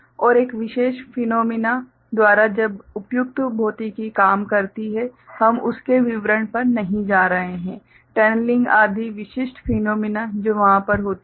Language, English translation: Hindi, And by a particular phenomena when appropriate physics works out so, that we’ll not be going to the details of that, tunneling etcetera ok the specific phenomena that happens over there